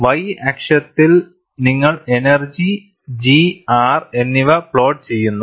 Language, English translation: Malayalam, On the y axis, you plot the energies G as well as R